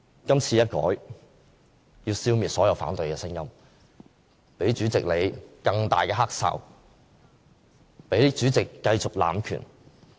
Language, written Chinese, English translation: Cantonese, 今次修改，是要消滅所有反對聲音，給主席你更大的"黑哨"，給主席繼續濫權。, The proposed amendments however attempt to mute the opposition voices by giving the corrupt referee a louder whistle and enabling the President to continue to abuse his power